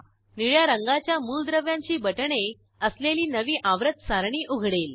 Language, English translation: Marathi, A new Periodic table opens with elements buttons in Blue color